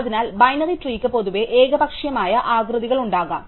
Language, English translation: Malayalam, So, binary trees in general can have arbitrary shapes